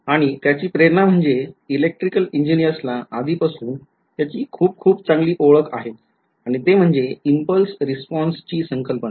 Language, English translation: Marathi, Now, some of the motivation for it is something that electrical engineers are already very very familiar with right and that is a concept of a impulse response